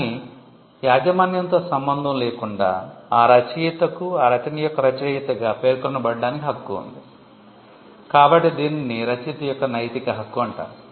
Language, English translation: Telugu, But, regardless of the ownership, the author has a right to be mentioned as the author of the work; so, this is called the moral right of the author